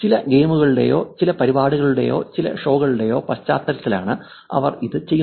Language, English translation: Malayalam, And they do this in the context of some games that are going on, some events that are going on, some shows that are going on